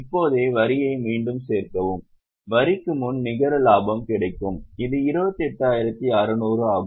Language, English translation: Tamil, We will get net profit before tax, which is 28,600